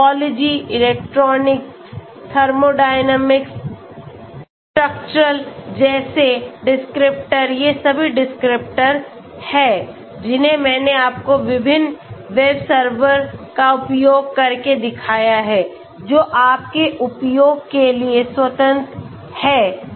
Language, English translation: Hindi, So the descriptors like Topology, electronic, thermodynamics, structural all these are descriptors which I showed you using different web servers which are free for you to use okay